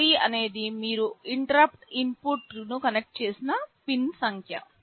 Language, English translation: Telugu, D3 is the pin number to which you have connected the interrupt input